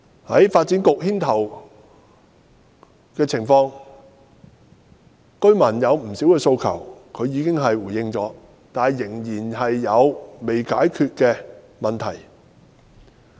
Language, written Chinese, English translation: Cantonese, 在發展局牽頭下，居民不少的訴求當局已回應，但仍然有未解決的問題。, Under the leadership of the Development Bureau the authorities have responded to a lot of residents demands but some issues have remained unresolved